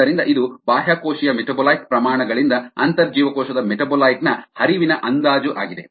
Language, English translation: Kannada, so, estimation of intracellular metabolite flux from extracellular metabolite rates